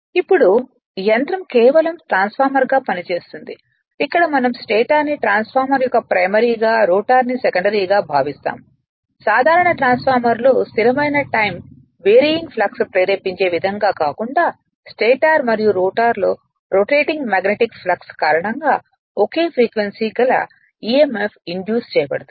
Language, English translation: Telugu, Now, the machine you acts merely as a transformer where the stator we calls a primary right transformer and the rotor the secondary have emf of the same frequency induced in them by the rotating magnetic flux, rather than by stationary time varying flux as in a ordinary transformer